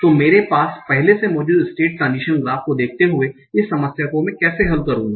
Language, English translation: Hindi, So how would I oppose this problem given the state transient graph that I already have